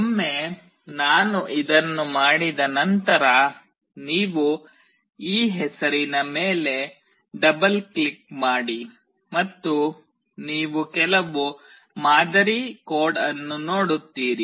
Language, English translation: Kannada, Once I do this you double click on this name, and you see some sample code